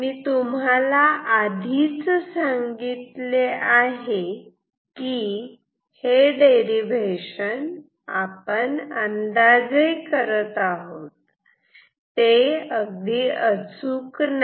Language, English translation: Marathi, And so far, I have said that the derivation that we did is an approximation; approximate one